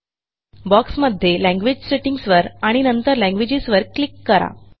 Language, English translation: Marathi, In this box, we will click on Language Settings and then Languages option